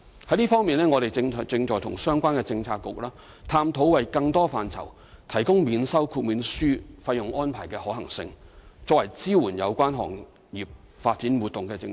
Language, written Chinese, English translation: Cantonese, 就這方面，我們正與相關政策局探討為更多範疇提供免收豁免書費用安排的可行性，以作為支援有關行業發展、活動的政策。, In this connection we are exploring with relevant Policy Bureaux the feasibility of making waiver fee exemption available to more aspects so as to serve as a policy to support the development of relevant industries and activities